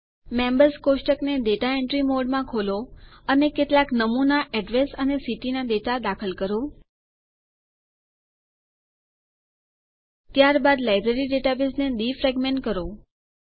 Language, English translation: Gujarati, Also open the Members table in Data Entry mode and insert some sample address and city data